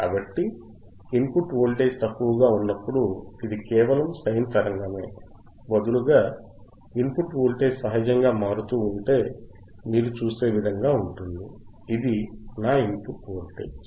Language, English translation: Telugu, So, when I have the input voltage, which is less, right instead of just a sine viewwave, if input voltage which is is varying in nature which is varying in nature like you see, this is my input voltage